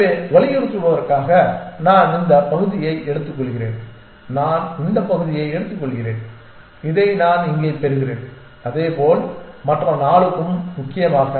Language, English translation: Tamil, So, just to emphasize I take this part and I take this part and I get this this one here and likewise for the other 4 essentially